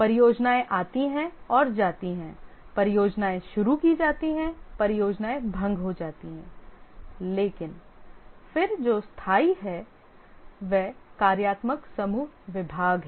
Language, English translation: Hindi, The projects are started, projects dissolve, but then what is permanent is the functional groups or departments